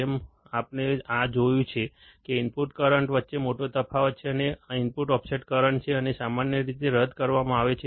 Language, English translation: Gujarati, As we have seen this, that there is a big difference between the input currents and is the input offset current